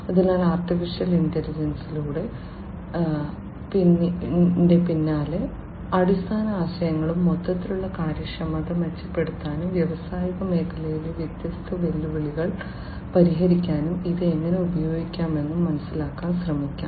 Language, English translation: Malayalam, So, let us try to understand the basic concepts behind AI and how it can be used to improve the overall efficiency and address different challenging issues in the industrial sector